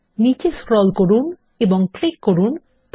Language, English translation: Bengali, Scroll down and click Play